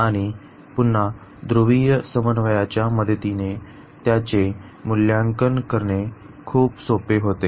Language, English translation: Marathi, And with the help of again the polar coordinate this was very easy to evaluate